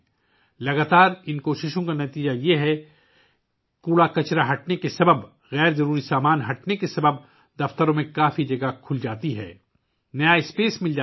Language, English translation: Urdu, The result of these continuous efforts is that due to the removal of garbage, removal of unnecessary items, a lot of space opens up in the offices, new space is available